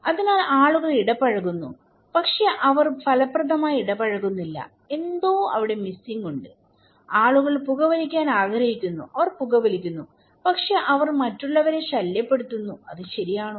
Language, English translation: Malayalam, So, people are interacting but they are not effectively interacting, there is something missing, people want to smoke, they are smoking but they are bothering others, is it okay